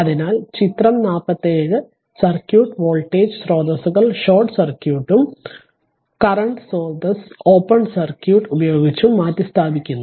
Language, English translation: Malayalam, So, figure 47 the circuit with the voltage sources replaced by short circuit and the current sources by an open circuit right